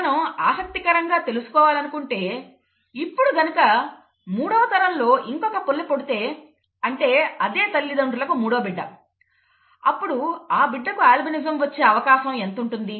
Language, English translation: Telugu, If we are interested in finding the following, if another child in the third generation, in this generation is born to the same parents, what is the probability of that child being an albino, okay